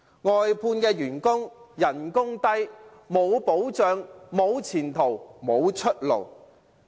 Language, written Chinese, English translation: Cantonese, 外判員工工資低、沒有保障、沒有前途、沒有出路。, The wages of outsourced workers are very low . They do not have any protection prospects or ways out